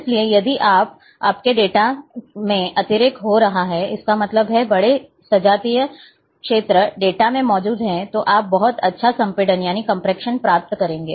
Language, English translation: Hindi, So, if a your data is having lot of redundancy; that means, homogeneous areas, large homogeneous areas are present in the data, then you will achieve very good compression